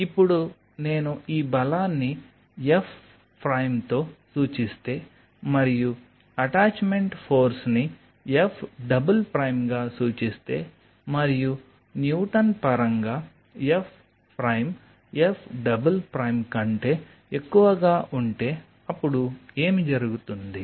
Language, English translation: Telugu, now, if I denote this force with f prime and i denote the attachment force as [noise] f double prime, and if f prime [noise] in terms of the newton, is greater than f double prime, then what will happen